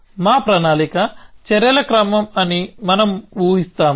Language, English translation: Telugu, We will assume that our plan is a sequence of actions